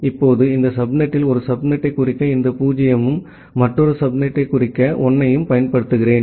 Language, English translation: Tamil, Now, in this subnet, I am using this 0 to denote one subnet, and this 1 to denote another subnet